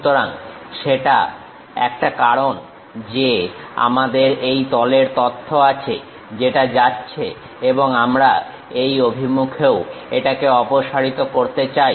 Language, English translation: Bengali, So, that is a reason we have this plane information which goes and we want to remove it in this direction also